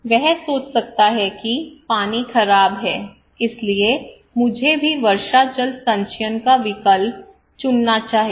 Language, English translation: Hindi, He may think that okay, my water is bad so I should also opt for rainwater harvesting